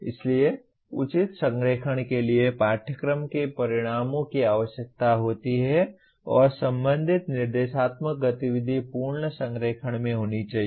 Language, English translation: Hindi, So proper alignment requires course outcomes and related instructional activity should be in complete alignment